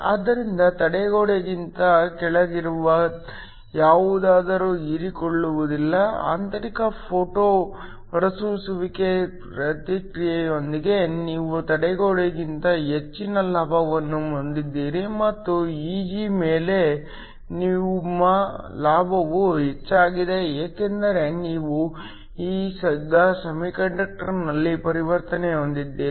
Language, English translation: Kannada, So, anything below the barrier will not get absorbed, above the barrier you have some gain because of the internal photo emission process and above Eg your gain is higher because you now have the transition with in the semiconductor